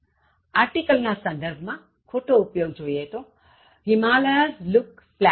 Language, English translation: Gujarati, Wrong usage; with regard to article, Himalayas look splendid